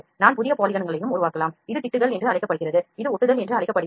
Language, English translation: Tamil, We can also create new polygons as I said patches this is known as the which is patching kind of patching ok